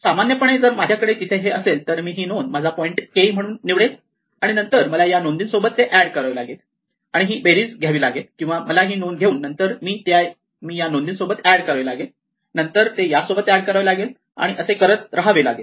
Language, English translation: Marathi, In general, if I have a thing there, I will say if I choose this entry as my k point then I must add this entry to get it up, and take this sum or I have to take this entry and add this entry and then add this and so on